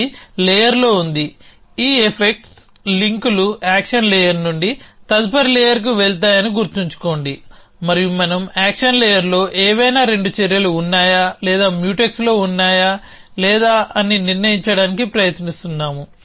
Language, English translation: Telugu, So, that is in the layer, remember that this effect links go from the action layer to the next layer and we are trying to decide whether any 2 actions in the action layer or Mutex or not